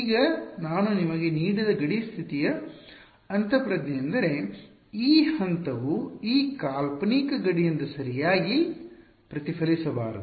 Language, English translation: Kannada, Now the intuition for the boundary condition that I had given you was that the phase should not reflect back from this hypothetical boundary correct